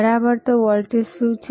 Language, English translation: Gujarati, All right so, what is the voltage